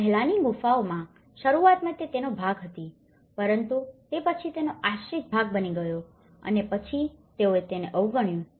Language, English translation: Gujarati, In the earlier caves, initially they were part of it but then there has become a dependent part of it and then they ignored it